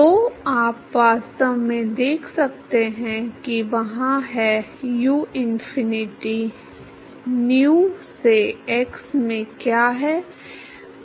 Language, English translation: Hindi, So, you can actually see that there is; what is uinfinity by nu into x